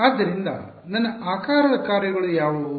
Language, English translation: Kannada, So, what are my shape functions like